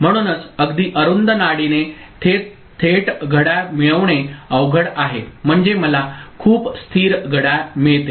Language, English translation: Marathi, So, because directly getting a clock with a very narrow pulse is difficult, I mean, getting very stable clock